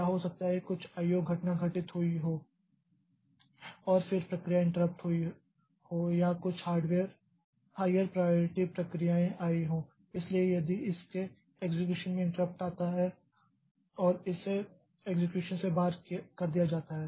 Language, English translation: Hindi, o event has occurred and then the process is interrupted or some higher priority process has arrived so that's why this is interrupted its execution and it is taken out of execution